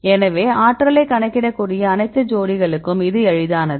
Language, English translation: Tamil, So, for all the pairs you can calculate energy you can do it, it is easy